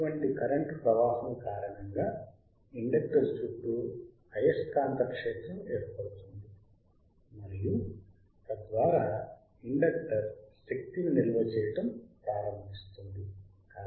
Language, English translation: Telugu, Due to such current flow, the magnetic field gets set up around the inductor and thus inductor starts storing the energy